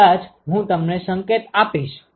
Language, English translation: Gujarati, Maybe I will give you a hint